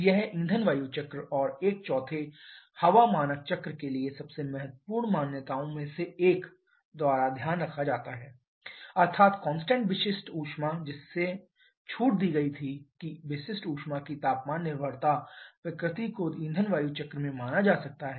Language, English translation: Hindi, This one can be taken care of by fuel air cycle and a 4th one, one of the most important assumptions for the air standard cycle that is the constant specific heat that was relaxed that the temperature dependence nature of specific heats can be considered in fuel air cycle